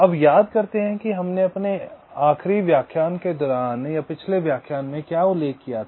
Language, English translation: Hindi, now recall what we mentioned during our last lecture